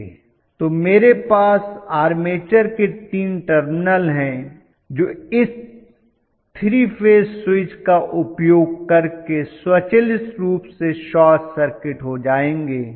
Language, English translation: Hindi, So I have the 3 terminals of the armature, which will be short circuited automatically by using this 3 phase switch okay